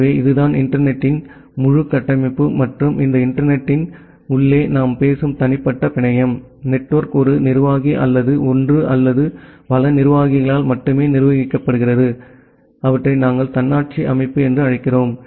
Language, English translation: Tamil, So, that is the thing that is the entire architecture of the internet and inside this internet the individual network that we are talking about; where the network is solely managed by one administrator or one or multiple administrators we call them as autonomous system